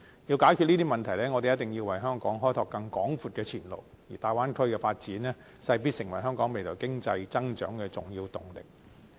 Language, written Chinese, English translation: Cantonese, 要解決這些問題，我們一定要為香港開拓更廣闊的前路，而大灣區的發展勢必成為香港未來經濟增長的重要動力。, To solve these problems we must open up wider prospects for Hong Kong . The development of the Bay Area will certainly be an important impetus for Hong Kongs economic growth in the future